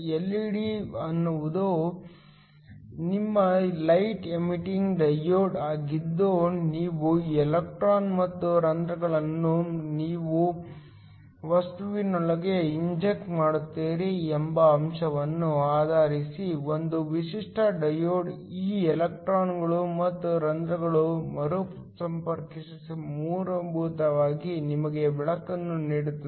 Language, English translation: Kannada, LED is your light emitting diode that based upon the fact that you inject electrons and holes into your material a typical diode is nothing but a p n junction these electrons and holes recombine and basically give you light